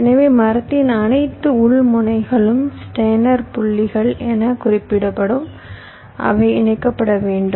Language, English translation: Tamil, so all the internal nodes of the tree will be referred to as steiner points